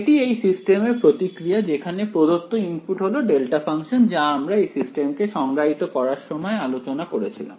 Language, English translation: Bengali, This is the response of the system when the given input is a delta function right, as we discussed that is the very definition of this system